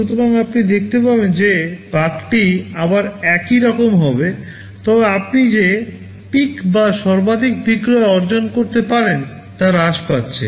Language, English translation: Bengali, So, you see the curve will be similar again, but the peak or the maximum sale can that you can achieve is becoming much less